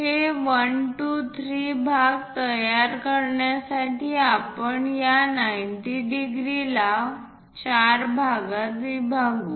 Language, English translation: Marathi, So, to construct these 1 2 3 parts what we are going to do is again we will divide this 90 into 4 parts